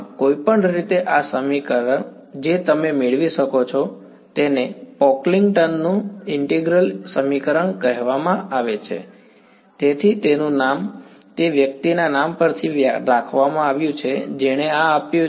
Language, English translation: Gujarati, Any way this equation that you get is what is called the Pocklington’s integral equation alright, so it is named after the person who came up with this